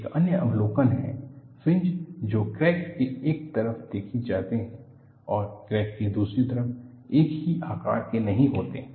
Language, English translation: Hindi, Another observation is, the fringes, which are seen on one side of the crack and another side of the crack are not of same size